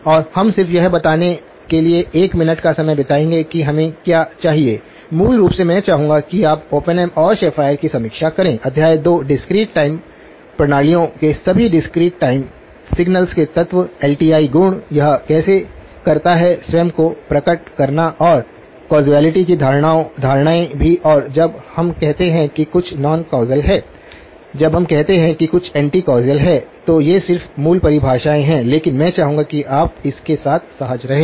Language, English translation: Hindi, And we will just spend a minute to highlight what it is that we need so, basically I would like you to review Oppenheim and Schafer : Chapter 2, all the elements of discrete time signals of discrete time systems, the LTI properties, how does it manifest itself and also the notions of causality and when do we say something is non causal, when do we say something is anti causal again, these are just basic definitions but I would like you to be comfortable with that